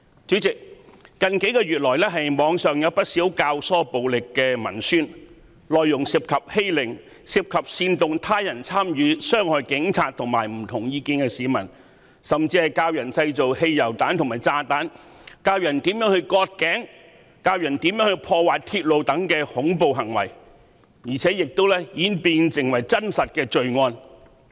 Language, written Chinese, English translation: Cantonese, 主席，近幾個月以來，網上有不少教唆暴力的文宣，內容涉及欺凌、煽動他人參與傷害警察和持不同意見的市民，甚至是教導如何製造汽油彈和炸彈、割頸、破壞鐵路等恐怖行為，凡此種種更已演變成真實罪案。, President there have been a lot of propaganda online abetting violence in the past several months . The propaganda involved bullying inciting others to participate in harming the Police and people with different views and even teaching people to carry out terrorist acts such as making petrol bombs and bombs slashing others necks and vandalizing railways . These acts have turned into actual crimes